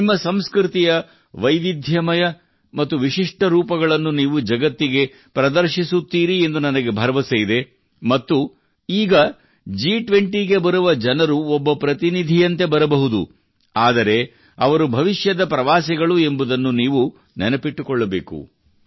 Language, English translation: Kannada, I am sure that you will bring the diverse and distinctive colors of your culture to the world and you also have to remember that the people coming to the G20, even if they come now as delegates, are tourists of the future